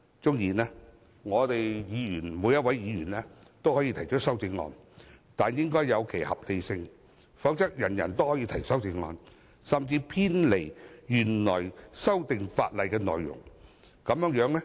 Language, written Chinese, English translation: Cantonese, 縱使每一位議員都可以提出修正案，但應有其合理性，否則人人都可以提出偏離原來法例內容的修正案。, Every Member can introduce amendments but they should be reasonable otherwise every one of them can propose amendments that deviate from the original legislation